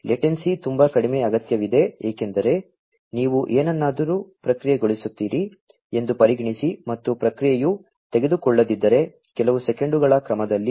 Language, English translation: Kannada, And, the latency is required to be very low because just consider that you process something and if it does not the processing takes, maybe in the order of few seconds